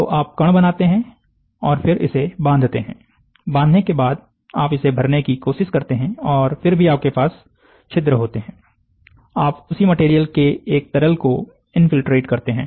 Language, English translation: Hindi, So, you make particles and then you bind it, after you bind you try to sinter it, and still you have pores, you infiltrate a liquid of the same material